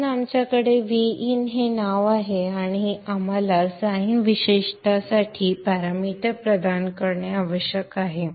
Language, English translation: Marathi, So we have the name VIN and we need to provide the parameter for the sign attribute